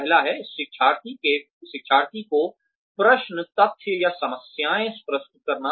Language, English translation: Hindi, The first one is, presenting questions, facts, or problems, to the learner